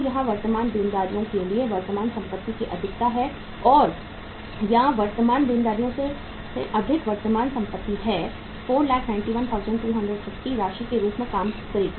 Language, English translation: Hindi, So what is the excess of current asset to current liabilities or current asset over current liabilities that amount will work out as 491,250